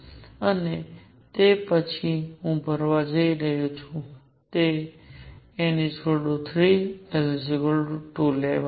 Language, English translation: Gujarati, And after that I am going to fill n equals 3 l equals 2 level